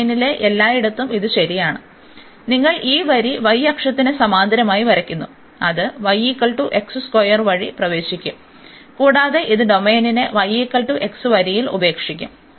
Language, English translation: Malayalam, And that that is true everywhere in the domain at whatever point you draw this line parallel to the y axis, it will enter through the y is equal to x square, and it will leave the domain at y is equal to x line